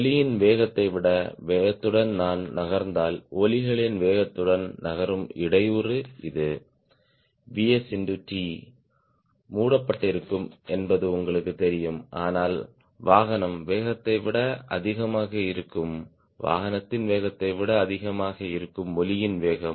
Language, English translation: Tamil, you know that if i moving with speed more than velocity of sound, in time t, the disturbance which moves with the velocity of sounds this is v s into t will be covered, but vehicle be more than the speed, vehicle speed being more than the speed of sound